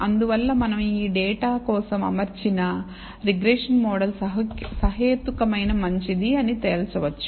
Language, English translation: Telugu, And therefore, we can conclude that regression model that we have fitted for this data is a reasonably good one